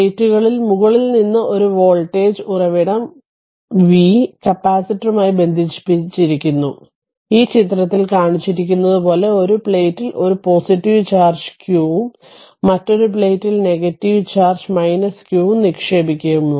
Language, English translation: Malayalam, So, from the above explanation we say that where a voltage source v is connected to the capacitor, the source deposit a positive charge q on one plate and the negative charge minus q on the other plate as shown in this figure